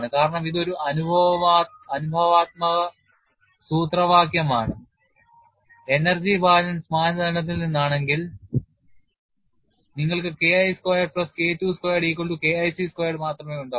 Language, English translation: Malayalam, Because it is a empirical formulation if you come from energy balance criterion you will have only K1 squared plus K2 squared equal to K1 c squared